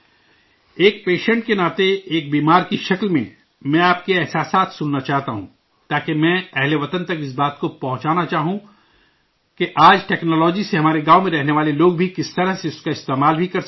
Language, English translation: Urdu, As a patient, I want to listen to your experiences, so that I would like to convey to our countrymen how the people living in our villages can use today's technology